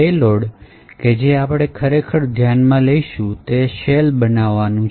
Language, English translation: Gujarati, So, the payload that we will actually consider is to create a shell